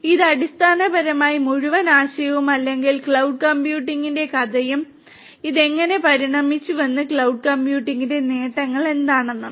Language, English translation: Malayalam, So, this is basically the whole idea or the story of cloud computing and how it evolved and what are the benefits of cloud computing